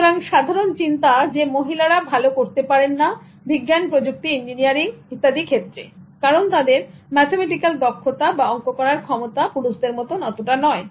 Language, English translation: Bengali, So the general thinking that females cannot do well in science and technology, engineering, because basically their mathematical ability is not as good as males